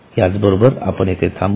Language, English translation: Marathi, So with this we'll stop here